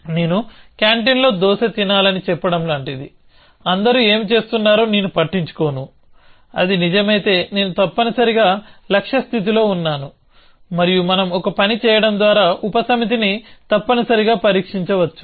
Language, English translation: Telugu, So, it is like saying that I should be stick on the canteen and having a dosa, I do not care what everybody else is doing, if that is true then i am in a goal state essentially and that we can test by simply doing a subset essentially